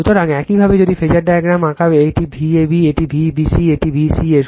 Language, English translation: Bengali, So, similarly if you draw the phasor diagram, this is your V ab, this is V bc, this is vca